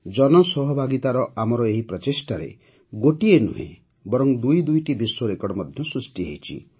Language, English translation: Odia, In this effort of ours for public participation, not just one, but two world records have also been created